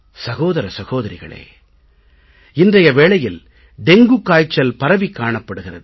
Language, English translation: Tamil, Dear countrymen, there is news of dengue everywhere